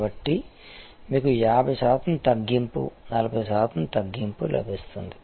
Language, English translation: Telugu, So, people you may get 50 percent discount 40 percent discount